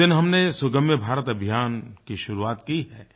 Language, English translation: Hindi, That day we started the 'Sugamya Bharat' campaign